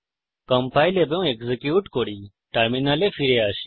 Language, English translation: Bengali, Let us compile and execute come back to our terminal